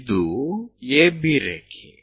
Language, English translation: Kannada, AB line is this